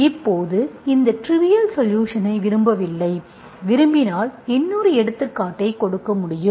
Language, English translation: Tamil, Now I do not want this trivial solution, if you want, I can give you another example, okay